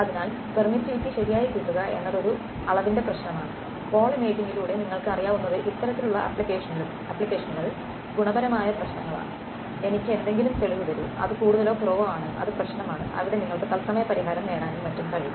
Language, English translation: Malayalam, So, getting the permittivity correct is what is a quantitative problem and what you know through the wall imaging these kinds of applications are qualitative problems; give me some solution which is more or less it is also problem there you can possibly get real time solution and so on